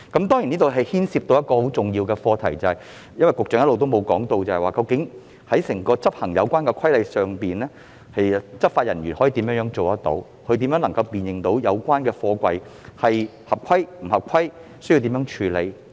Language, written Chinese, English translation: Cantonese, 當中牽涉一個很重要的課題，就是運輸及房屋局局長一直沒有提到，執法人員究竟如何執行有關規例，即如何辨認貨櫃是否合規及須如何處理。, A major problem involved in the Bill is that the Secretary for Transport and Housing has all along failed to mention how law enforcement officers will enforce the relevant regulations namely how to identify whether containers comply with the regulations and how to handle matters relating to compliance